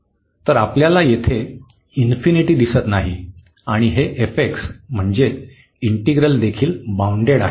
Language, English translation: Marathi, So, we do not see here infinity and also this f x, the integrand is also bounded